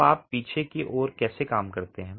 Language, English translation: Hindi, Now how do you work backwards